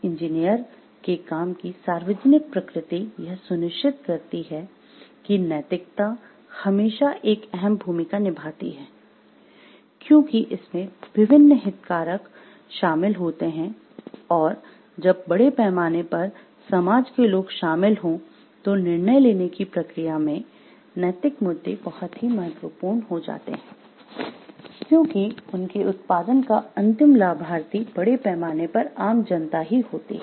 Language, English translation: Hindi, The public nature of the engineers work ensure that ethics will always play a role, because there are different stakeholders involved and when the society at large is involved, then what happens this ethical issues in the decision making processes are very important, because the ultimate beneficiaries of their outputs are the general public at large